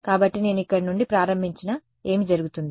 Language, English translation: Telugu, So, even if I started from here, what will happen